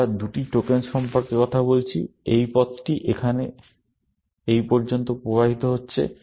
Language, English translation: Bengali, We are talking about two tokens flowing down this path up to here